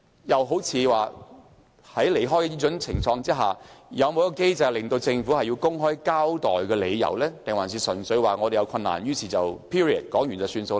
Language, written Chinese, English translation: Cantonese, 又好像在偏離時，有否一個機制規定政府須公開交代理由，還是只說有困難，便不用作解釋？, In cases where there are deviations from HKPSG is there a mechanism which requires the Government to give an account to the public or can it simply state that there are difficulties without having to give any explanation?